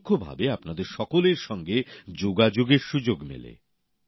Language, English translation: Bengali, In a way, indirectly, I get an opportunity to connect with you all